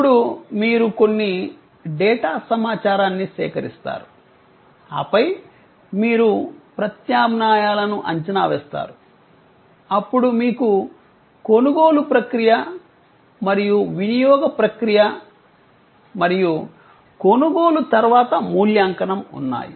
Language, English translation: Telugu, Then, you gather some data information, then you evaluate alternatives, then you have the purchase process and consumption process and post purchase evaluation